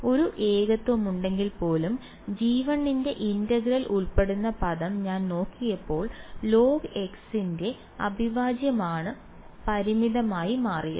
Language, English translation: Malayalam, When I looked at the term involving integral of g 1 even if there was a singularity I had it was the integral of log x that turned out to be finite